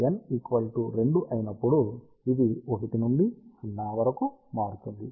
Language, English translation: Telugu, So, when n is equal to 2 it varies from 1 to 0